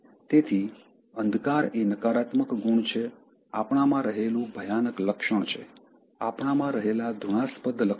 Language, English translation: Gujarati, ” So, darkness is the negative qualities, the horrible trait in us, the detestable qualities in us